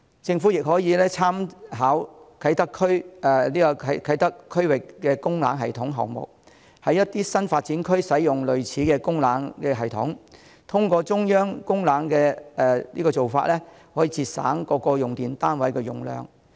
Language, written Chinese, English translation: Cantonese, 政府亦可以參考啟德發展區區域供冷系統項目，在一些新發展區使用類似的供冷系統，通過中央供冷的做法，可以節省各用電單位的用量。, The Government can also make reference to the District Cooling System at the Kai Tak Development Area and install similar cooling systems in certain new development areas thereby reducing the electricity consumption of various electricity - consuming units through centralized cooling